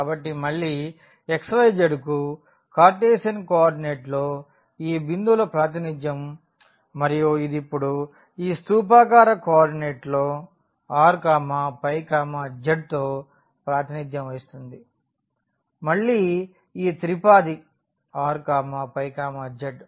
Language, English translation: Telugu, So, again the representation for this point x y z in the Cartesian co ordinate and it will be represented now in these cylindrical coordinate by r phi and z; so again this triplet with r phi and z